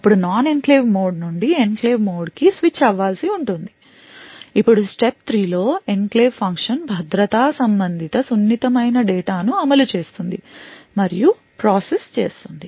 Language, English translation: Telugu, Then there is switch from the non enclave mode into the enclave mode then the step 3 is where the enclave function executes and processes the security related sensitive data